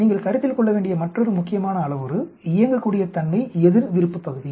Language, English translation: Tamil, Another important parameter you need to consider is Operability verses Region of interest